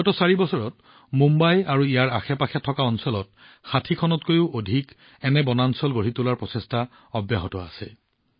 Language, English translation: Assamese, In the last four years, work has been done on more than 60 such forests in Mumbai and its surrounding areas